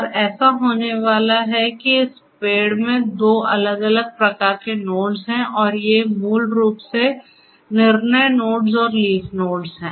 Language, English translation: Hindi, And, so you know so what is going to happen is there are two different types of nodes in this tree and these are basically the decision nodes and the leaf nodes